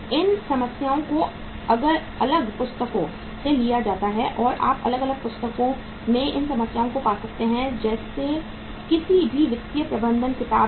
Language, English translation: Hindi, These problems are taken from different books and you will be finding these problems in the different books like any any book on the financial management